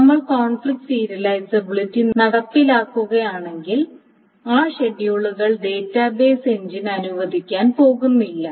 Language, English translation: Malayalam, So, if one enforces the conflict serializability, those schedules are not going to be allowed by the database engine